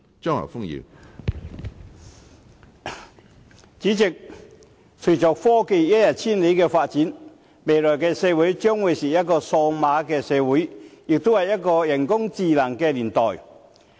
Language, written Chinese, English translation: Cantonese, 主席，隨着科技發展一日千里，未來的社會將會是一個數碼社會，也會是一個人工智能的年代。, President with the rapid development of technology a digital society and an era of artificial intelligence are lying ahead of us